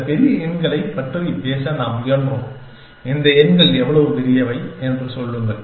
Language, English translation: Tamil, And we have in sought of talking about this large numbers, and say how big these numbers